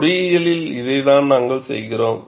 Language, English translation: Tamil, See, in engineering, this is what we do